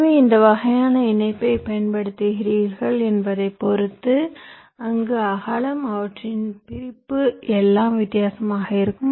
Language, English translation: Tamil, so depending on which layer your using, the kind of connection there, width, their separation, everything will be different